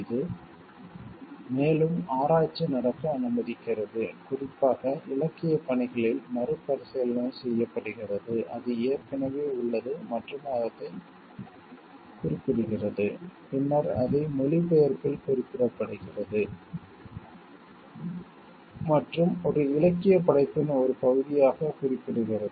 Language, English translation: Tamil, It allows like more research to happen, rethinking to be happen on particularly literary work, which is already there and referring to it them stating it in the translations and mentioning it in part of a literary work